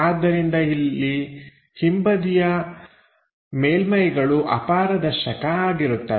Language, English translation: Kannada, So, the back side of the surfaces will be opaque